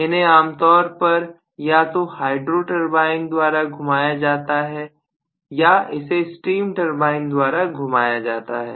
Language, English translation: Hindi, So these are generally rotated either by a hydro turbine or it is rotated by a steam turbine right